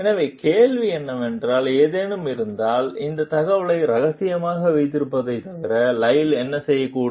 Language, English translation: Tamil, So, question is, what, if anything, might Lyle do other than keep this information confidential